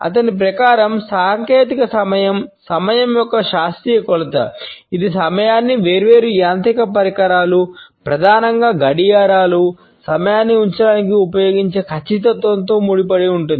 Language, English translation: Telugu, Technical time according to him is the scientific measurement of time which is associated with the precision of keeping the time the way different mechanical devices for example, clock and watches primarily are used to keep time